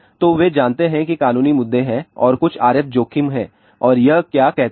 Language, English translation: Hindi, So, then no there are legal issues are there and there are some RF exposure and what it says